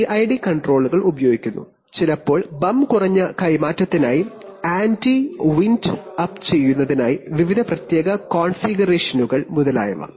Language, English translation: Malayalam, PID controllers are used, sometimes with various special configurations for anti wind up for bump less transfer etc